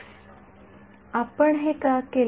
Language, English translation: Marathi, Why did we do this